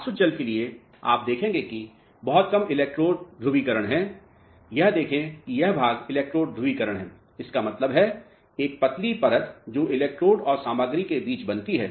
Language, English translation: Hindi, So, for distilled water you will notice that there is very very less electrode polarization see this portion is electrode polarization; that means, a thin layer which is formed between the electrodes and the material